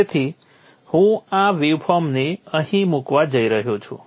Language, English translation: Gujarati, So I am going to place this waveform here